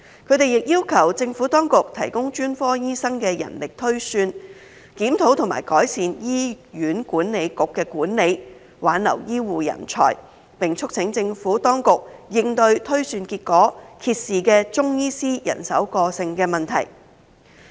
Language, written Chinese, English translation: Cantonese, 他們亦要求政府當局提供專科醫生的人力推算，檢討及改善醫院管理局的管理，挽留醫護人才，並促請政府當局應對推算結果揭示的中醫師人手過剩問題。, They also requested the Administration to provide manpower projection for specialist doctors as well as review and improve the management of the Hospital Authority for retention of healthcare talents . Members also called on the Administration to address the problem of oversupply of Chinese medicine practitioners as revealed by the projection results